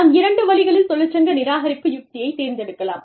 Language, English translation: Tamil, When we decide, upon a union avoidance strategy, we could do it, in two ways